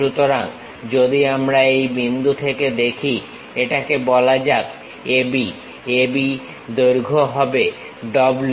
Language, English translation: Bengali, So, if we are seeing from this point this point let us call A B, the length A B is W